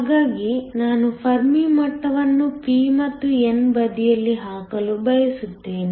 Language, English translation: Kannada, So, what I want to do is to put the Fermi level on the p and the n side